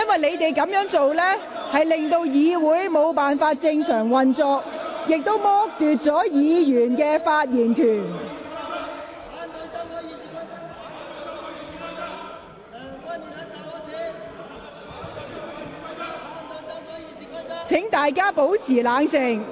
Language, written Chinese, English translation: Cantonese, 你們這樣做令議會無法正常運作，亦剝奪其他議員的發言權利。, What you are doing has rendered the normal operation of Council impossible while depriving other Members of their right to speak